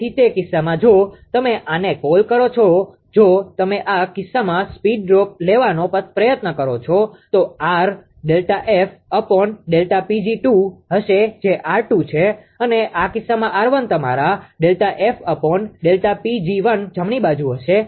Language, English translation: Gujarati, So, in that case your what you call this ah if you try to take the speed droop in this case R will be delta F upon delta P g 2 that is R 2, and R 1 in this case will be your delta F upon delta P g 1 right